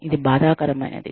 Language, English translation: Telugu, It is painful